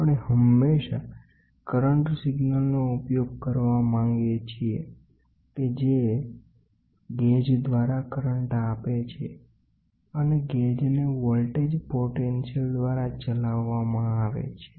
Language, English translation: Gujarati, So, we always try to use the current signal is given the current through the gauge; gauge will be driven by voltage potential across the bridge, ok